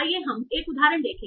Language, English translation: Hindi, So, let's see one example